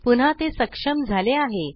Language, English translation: Marathi, It is enabled again